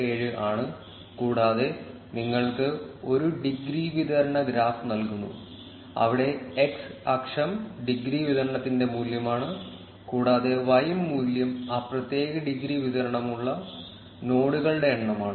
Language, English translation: Malayalam, 577 and also give you a degree distribution graph where the x axis is the value of the degree distribution, and the y value is the number of nodes with that particular degree distribution